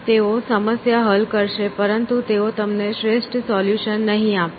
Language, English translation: Gujarati, So, they will solve the problem, but they will not give you the optimal solution